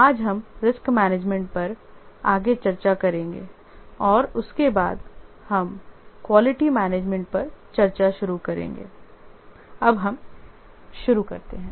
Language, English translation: Hindi, Today we will discuss further on risk management and after that we will start discussing about quality management